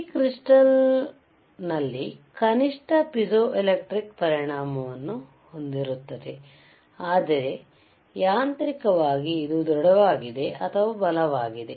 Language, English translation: Kannada, and tThis crystal ishas atthe least piezoelectric effect, but mechanically it is robust or strongest